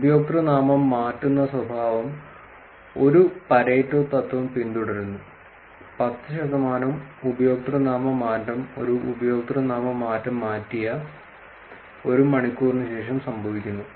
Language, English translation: Malayalam, Username changing behavior follows a Pareto principle, 10 percent username change occur after an hour of the earlier username change